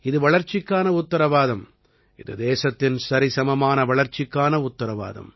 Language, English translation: Tamil, This is a guarantee of development; this is the guarantee of balanced development of the country